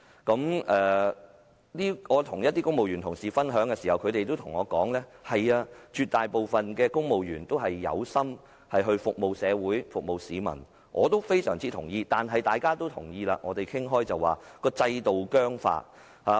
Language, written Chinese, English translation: Cantonese, 在與公務員同事分享時，他們也告訴我，絕大部分公務員都有心服務社會及市民——我對此也大有同感——問題在於制度僵化。, While sharing our views the civil servants told me that the absolute majority of the civil servants were devoted to serving the community and members of the public―I feel very much the same―the problem lies in the fossilized system